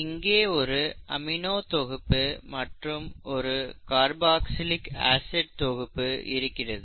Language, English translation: Tamil, So you have an amino group here and a carboxylic acid group here